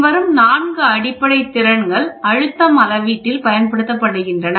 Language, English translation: Tamil, The following four basic skills are employed in pressure measurement